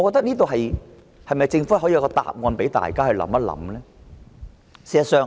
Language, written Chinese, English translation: Cantonese, 政府可否提供一個答案，讓大家想一想？, Can the Government offer an answer for our consideration?